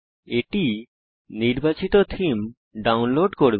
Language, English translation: Bengali, This will download the chosen theme